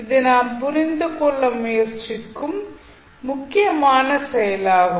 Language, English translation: Tamil, So, this would be the important activity which we will try to understand